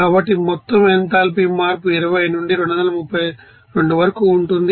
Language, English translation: Telugu, So, total enthalpy change will be n into here, like this 20 to 232 into CpdT